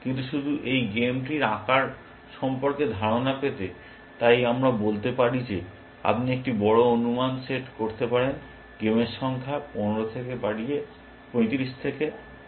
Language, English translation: Bengali, But just to get an idea of the size of this game tree, so we can say that, you can one big estimate is set the number of games possible is 35 raise to 50